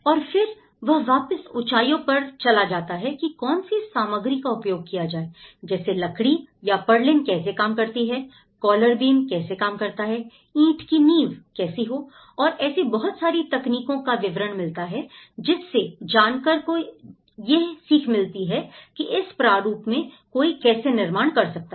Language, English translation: Hindi, And then, it goes back to the heights and you know, the material components in it so, how the wooden purlins works, how the collar beam works you know so, how the brick foundations you know, how they have to so, it gives the more technical details of how one can construct in this format